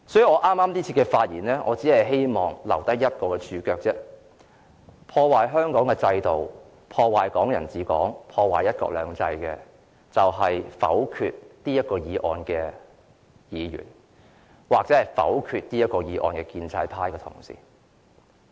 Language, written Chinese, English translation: Cantonese, 我這次發言，只希望留下一個註腳，即破壞香港的制度、"港人治港"、"一國兩制"的人就是否決這項議案的議員，或否決這項議案的建制派同事。, I am speaking this time in the hope that I can leave a footnote in the record that Members or the pro - establishment Members who will vote against this motion will be ruining the systems of Hong Kong and the principles of Hong Kong people administering Hong Kong and one country two systems